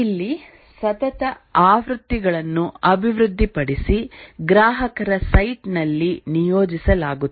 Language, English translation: Kannada, Here, successive versions are developed and deployed at the customer site